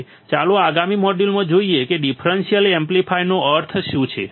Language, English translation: Gujarati, Now, let us see in the next module what exactly a differential amplifier means